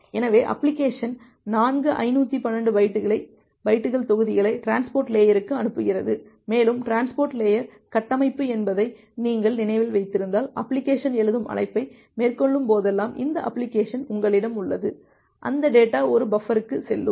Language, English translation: Tamil, So, the application is sending four 512 bytes of blocks to the transport layer, and if you remember that the transport layer architecture, you have this application whenever the application is making a write call, that data is going to a buffer